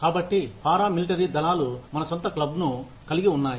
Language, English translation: Telugu, So, paramilitary forces having we have our own clubs